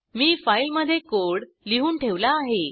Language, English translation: Marathi, I have already typed the code in a file